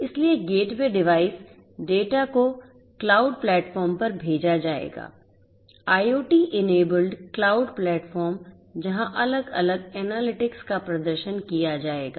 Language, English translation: Hindi, So, gateway devices, the data are going to be sent to the cloud platform; IoT enabled cloud platform where you know different analytics will be performed; analytics will be performed